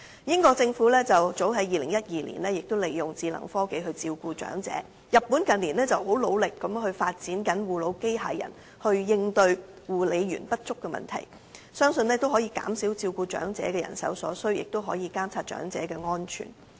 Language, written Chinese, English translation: Cantonese, 英國政府早於2012年已利用智能科技照顧長者，而日本近年亦努力發展護老機械人來應對護理員不足的問題，相信可以減少照顧長者所需人手，亦可以監察長者的安全。, As early as 2012 the United Kingdom Government already applied smart technology to provide elderly care . In recent years Japan has also made great efforts to develop nursing robots to address the problem of care worker shortage . I believe this can reduce the manpower required to take care of the elderly and monitor their safety